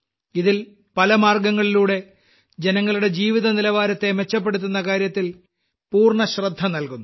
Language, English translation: Malayalam, In this, full attention is given to improve the quality of life of the people through various measures